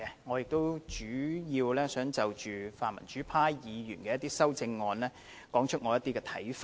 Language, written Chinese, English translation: Cantonese, 我亦主要想就泛民主派議員的一些修正案表達我的看法。, I also wish to express my views on the amendments proposed by pan - democratic Members